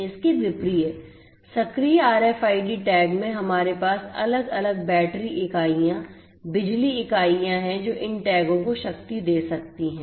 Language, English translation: Hindi, In active RFID tags on the contrary we have separate battery units, power units that can power these tags